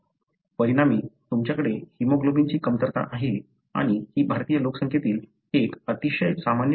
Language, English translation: Marathi, As a result, you have deficiency of hemoglobin and this is one of the very common conditions in the Indian population